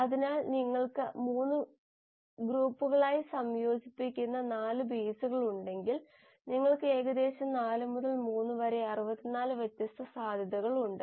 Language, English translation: Malayalam, So if you have 4 bases which you are combining in groups of 3, then you have about 4 to power 3, about 64 different possibilities